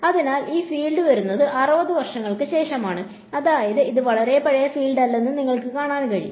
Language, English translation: Malayalam, So, that is 60s onwards is when this field as come over, so you can see it is not a very very old field